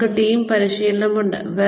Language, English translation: Malayalam, We have team training